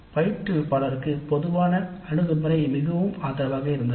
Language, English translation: Tamil, The general attitude of the instructor was quite supportive